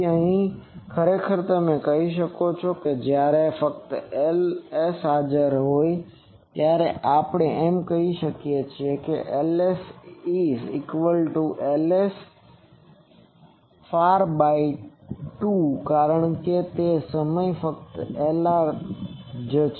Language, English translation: Gujarati, So, and actually you can say that when only Ls is present we can say that Ls is equal to Lr far by 2, because that time only Lr is there